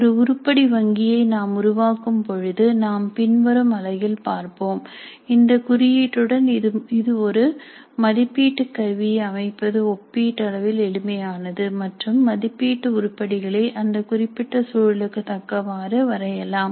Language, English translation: Tamil, When we create an item bank as we shall see in a later unit with these tags it becomes relatively simpler to set an assessment instrument by drawing on the assessment items which are relevant for that particular context